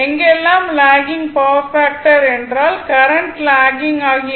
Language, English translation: Tamil, Whenever is a lagging power factor means, the current is lagging right